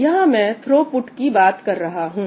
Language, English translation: Hindi, Well I am talking about throughput